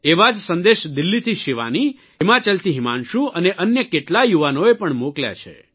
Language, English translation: Gujarati, Similar messages have been sent by Shivani from Delhi, Himanshu from Himachal and many other youths